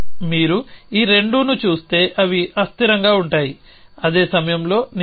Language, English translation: Telugu, So, if you look at these 2 then they are inconsistent cannot be true at the same time